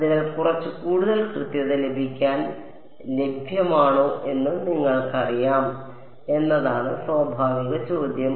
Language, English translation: Malayalam, So, the natural question is that you know is there available to get little bit more accuracy ok